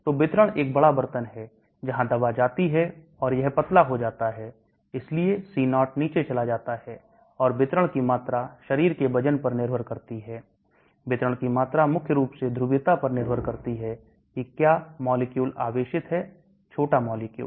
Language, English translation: Hindi, So the distribution is a big pot where the drug goes and it gets diluted, so C0 goes down and the volume of distribution depends upon the body weight, volume of distribution depends primarily on the polarity whether the molecule is charged, small molecules